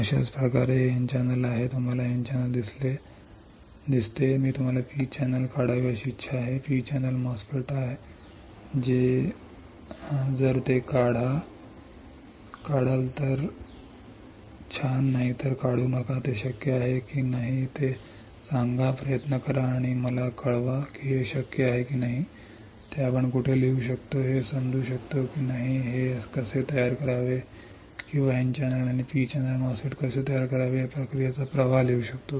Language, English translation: Marathi, In the similar fashion this is N channel you see this is N channel, I want you to draw a P channel MOSFET is there P channel MOSFET if yes draw it if there is no then do not draw it tell me whether it is possible or not try and let me know whether it is possible or not whether we can understand where we can write down we can write down the process flow of how to design or how to fabricate N channel and P channel MOSFETs all right